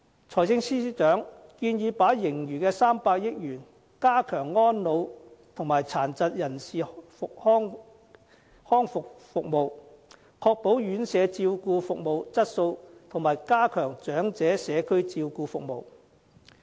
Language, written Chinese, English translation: Cantonese, 財政司司長建議把盈餘的300億元加強安老和殘疾人士康復服務，確保院舍照顧服務質素和加強長者社區照顧服務。, The Financial Secretary proposes to use 30 billion of the surplus on strengthening elderly services and rehabilitation services for persons with disabilities to ensure the quality of residential care services and enhance community care services for the elderly